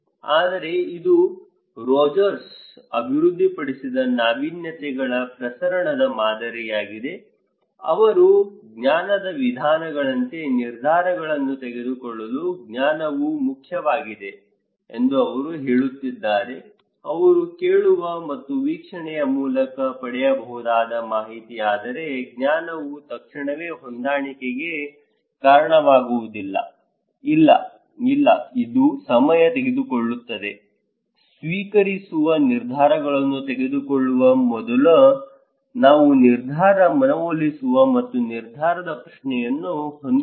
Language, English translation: Kannada, But this is a model of diffusion of innovations developed by Rogers, they are saying that knowledge is important to make decisions like knowledge means, information which we can get through hearing and observation but knowledge immediately does not lead to adaptation; no, no, it takes time, before making adoption decisions, we need to have decision persuasions and decision question